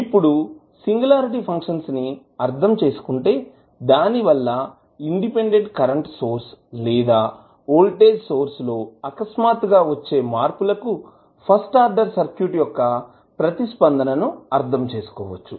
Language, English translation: Telugu, Now, the basic understanding of singularity function will help you to understand the response of first order circuit to a sudden application of independent voltage or current source